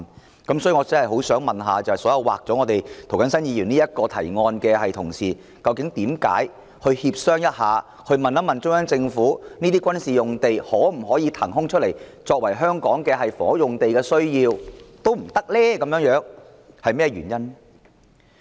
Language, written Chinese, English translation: Cantonese, 有鑒於此，我真的很想問所有把涂謹申議員這項提案刪去的同事，究竟為何連展開協商，詢問中央政府可否將這些軍事用地騰出來作為香港的房屋用地亦不可以，原因為何？, In view of this I really wish to ask all those Honourable colleagues who have deleted this proposal made by Mr James TO why is it even impossible to initiate negotiation and consult with CPG on whether such military sites can be released for housing development in Hong Kong? . What are the reasons for that?